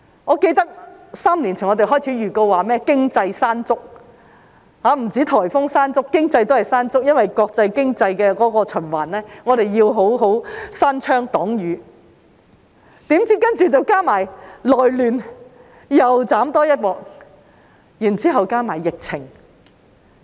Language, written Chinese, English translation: Cantonese, 我記得3年前我們開始預告經濟"山竹"——不止是颱風"山竹"，經濟也有"山竹"——因為國際經濟的循環，我們要好好關窗擋雨，豈料隨後加上內亂，再遭蹂躪，之後加上疫情。, I recall that three years ago we began to give a heads up on Economy - killer Mangkhut―there is not just Typhoon Mangkhut but also Economy - killer Mangkhut . Because of the international economic cycle we had to shut windows to keep out the rain but it turned out that we were subsequently devastated again by civil unrest followed by the pandemic